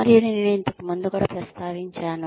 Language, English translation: Telugu, And, I have mentioned this earlier also